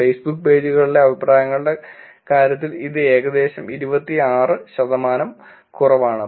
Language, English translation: Malayalam, It is about 26 percent lower in terms of the comments on the Facebook pages